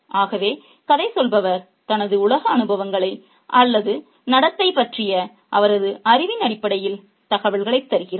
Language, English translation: Tamil, So, the narrator gives information based on his or her experiences of the world or his or her knowledge of something that has happened